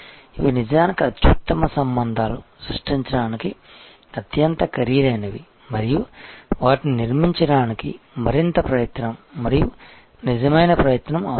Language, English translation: Telugu, And these are actually the best type of relationship, the costliest to create and it takes more effort and genuine effort to build it